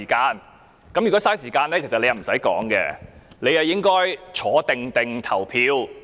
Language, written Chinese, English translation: Cantonese, 如果是浪費時間，其實他不用發言，應該安坐投票。, If it was a waste of time he should not speak but sit patiently waiting to cast his vote